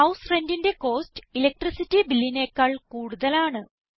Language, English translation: Malayalam, The cost of House Rent is more than that of Electricity Bill